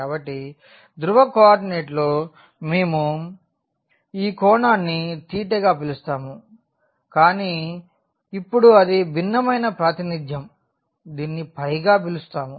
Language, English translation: Telugu, So, in polar coordinate we used to call this angle theta, but now it is different representation we are calling it phi